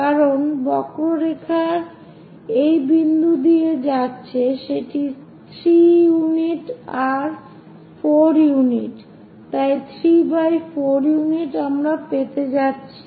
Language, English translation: Bengali, Because curve is passing through this point this will be three units that will be 4 units, so 3 by 4 units we are going to get